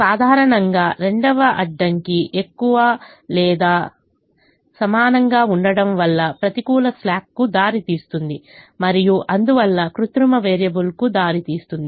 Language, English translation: Telugu, ordinarily the, the second constraint, which had the greater than or equal to, would have resulted in a negative slack and therefore you would would have resulted in a artificial variable